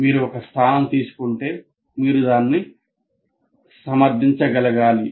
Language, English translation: Telugu, And if you have taken a position, you should be able to defend that